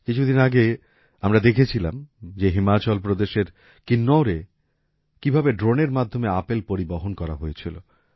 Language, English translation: Bengali, A few days ago we saw how apples were transported through drones in Kinnaur, Himachal Pradesh